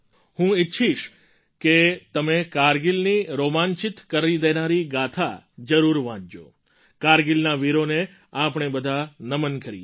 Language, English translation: Gujarati, I wish you read the enthralling saga of Kargil…let us all bow to the bravehearts of Kargil